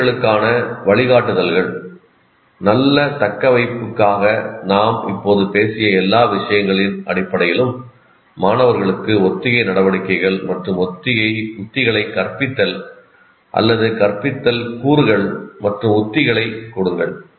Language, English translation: Tamil, Now guidelines to teachers based on all the things that we have now talked about, for good retention, teach students rehearsal activities and strategies or give the instructional components and strategies